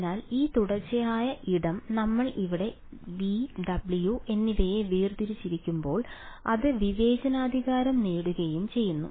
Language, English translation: Malayalam, So when we discretize this continuous space over here V and W; it gets discretize also